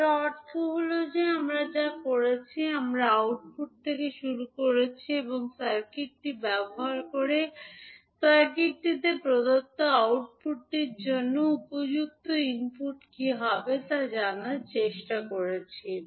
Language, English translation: Bengali, It means that what we are doing, we are starting from output and using the circuit we are trying to find out what would be the corresponding input for the output given to the circuit